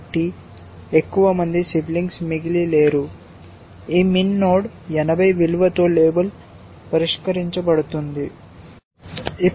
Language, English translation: Telugu, So, no more siblings are left so, this min node gets label solved with the value of 80